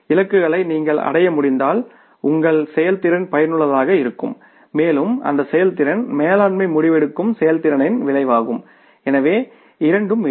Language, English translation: Tamil, If we are able to achieve the targets your performance is effective and that effectiveness has been the result of efficiency of the management decision making so both will be there